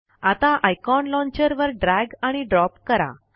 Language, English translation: Marathi, Now, drag and drop the icon to the Launcher